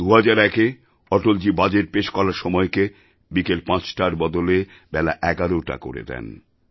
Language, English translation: Bengali, In the year 2001, Atalji changed the time of presenting the budget from 5 pm to 11 am